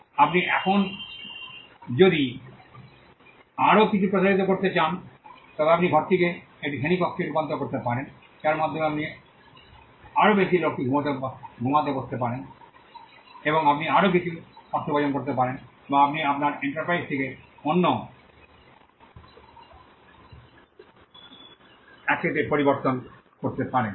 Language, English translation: Bengali, Now if you want to stretch it a bit more further you can convert the room into a classroom by which you can make more people sit to then sleep and you can make some more money or you can change your enterprise into a different 1